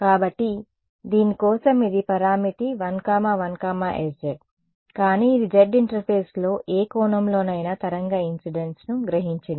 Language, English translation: Telugu, So, this for this guy over here the parameter 1 1 s z, but this absorbed a wave incident at any angle on the z interface